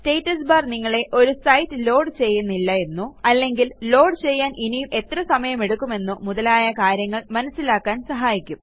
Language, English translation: Malayalam, The Status bar can help you to understand why a particular site is not loading, the time it may take to load, etc